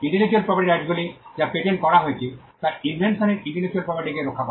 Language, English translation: Bengali, The intellectual property rights that is patents, they protect the intellectual property that is invention